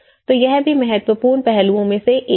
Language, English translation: Hindi, So, that is also one of the important aspects